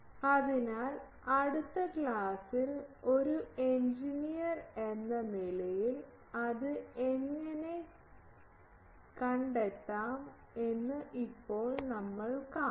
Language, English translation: Malayalam, So, now we will see how to play with that as an engineer in the next class